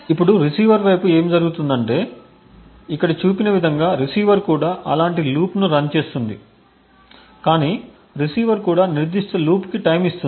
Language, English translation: Telugu, Now what happens on the receiver side is that the receiver also runs a similar loop as shown over here but the receiver would also time that particular loop